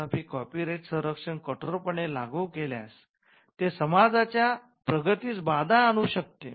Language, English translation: Marathi, However, if copyright protection is applied rigidly it could hamper progress of the society